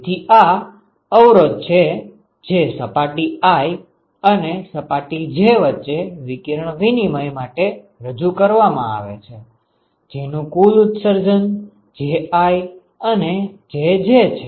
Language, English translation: Gujarati, So, that is the resistance which is offered for radiation exchange between surface i and surface j whose total emission are Ji and Jj ok